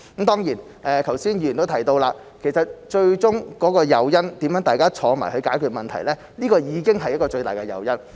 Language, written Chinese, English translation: Cantonese, 當然，剛才議員都提到，最終的誘因方面，大家坐下來商討解決問題已經是一個最大的誘因。, Certainly regarding the ultimate incentive Members have just mentioned it is already the biggest incentive for people to sit down and negotiate a solution to the problem